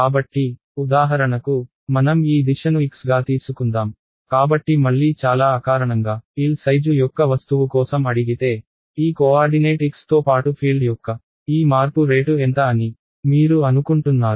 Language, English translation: Telugu, So, let us for example, let us take this direction to be x, so again very intuitively if I asked you that for an object of size L how much do you think that this rate of change of the field, along that coordinate x